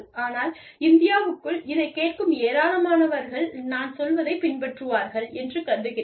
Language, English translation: Tamil, But, I am assuming, that a lot of, a large number of listeners, within India, will follow, what I am saying